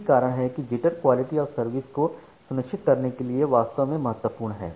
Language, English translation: Hindi, So, that is why jitter is indeed important for ensuring quality of service